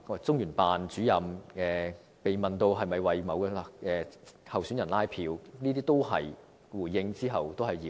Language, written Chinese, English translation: Cantonese, 中聯辦主任被問及有否為某位候選人拉票時，回應指那都是謠言。, When the Director of LOCPG was asked whether the Central Authorities had canvassed votes for a certain candidate he said that it was a rumour